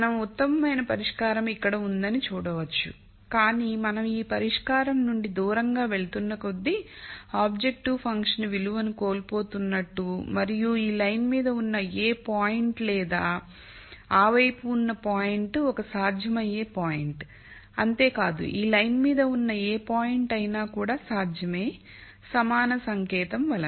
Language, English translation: Telugu, You will notice that again we know the best solution is here and as we move away from this solution, we will see that we are losing out on the objective function value and as before we know any point on this line or to the side is a feasible point and any point on this line is also feasible because of this equality sign